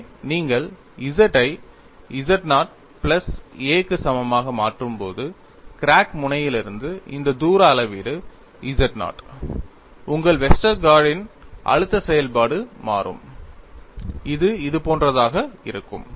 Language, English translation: Tamil, So, when you substitute small z equal to z naught plus a, where z naught is this distance measurement from the crack tip, your Westergaard’s stress function would change, and it would be something like this